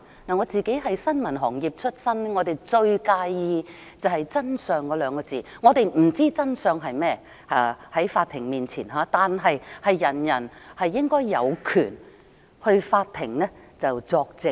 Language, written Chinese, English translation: Cantonese, 我是新聞行業出身，最在意真相兩個字，我們不知道在法庭面前真相是甚麼，但人人皆應有權到法庭作證。, Coming from the journalistic sector I find that the truth matters the most to me . We do not know what the court will see as truth but every person should have the right to give evidence in court